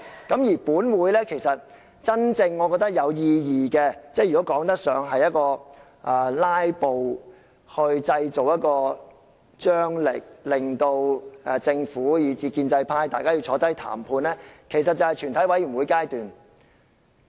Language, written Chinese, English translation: Cantonese, 我認為本會真正有意義的辯論，或說得上是透過"拉布"製造張力，令政府以至建制派願意共同坐下來談判的，其實便是全體委員會階段。, In my view it is at the Committee stage that meaningful debates of this Council are carried out and that filibusters may create tension prompting the Government and the pro - establishment camp to come to the table to negotiate